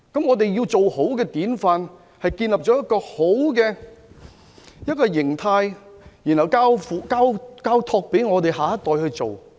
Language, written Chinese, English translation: Cantonese, 我們要豎立好的典範，就需要建立良好的形態，再交託給下一代去做。, If we want to set a good example we need to create favourable conditions for our next generation